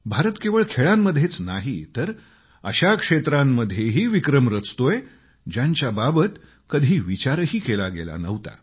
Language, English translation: Marathi, India is setting new records not just in the field of sports but also in hitherto uncharted areas